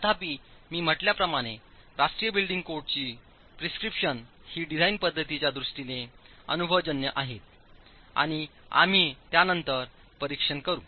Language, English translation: Marathi, However, as I said, the National Building Code prescriptions are empirical in terms of the design approach and we will examine that subsequently